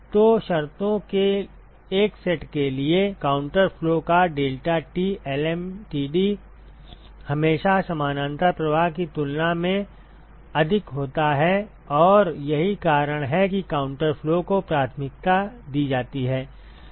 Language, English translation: Hindi, So, for a given set of conditions deltaT lmtd of counter flow is always greater than that of the parallel flow and, that is the reason why counter flow is preferred